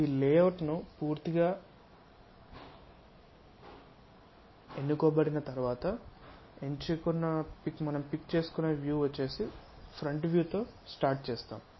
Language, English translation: Telugu, Once this layout is chosen complete is selected view begin with front view then construct a top view and complete these views